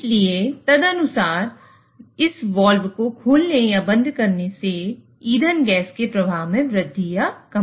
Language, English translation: Hindi, So, accordingly, it will increase or decrease the flow of fuel gas by opening or closing this valve